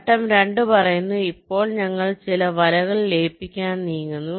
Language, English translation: Malayalam, step two says: now we move to merge some of the nets